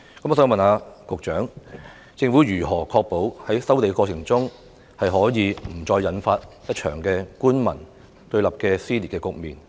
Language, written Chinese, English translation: Cantonese, 我想問局長，政府如何確保在收地過程中，不會再引發一場官民對立的撕裂局面？, May I ask the Secretaries How will the Government ensure that the land resumption process will not trigger another strong division between the Government and the people?